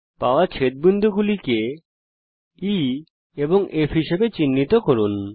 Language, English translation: Bengali, Let us mark the point of intersection as E